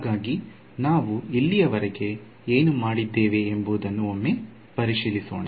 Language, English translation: Kannada, So, let us just have a look at what we have done so far